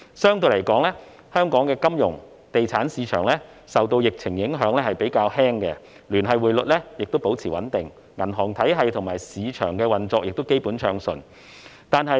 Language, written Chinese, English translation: Cantonese, 相對來說，香港的金融及地產市場受疫情影響比較輕微，聯繫匯率保持穩定，銀行體系及市場運作亦基本暢順。, In comparison the pandemic has relatively minor impacts on Hong Kongs financial and property markets . The linked exchange rate remains stable while the banking system and the market basically operate in a smooth manner